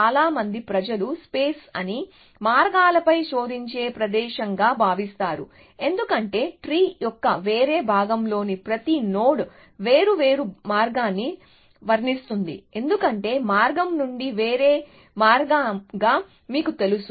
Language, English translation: Telugu, Many people tends to think of that is space, as a space of searching over paths, because each node in a different part of the tree depict the different path, because you know from route it as a different path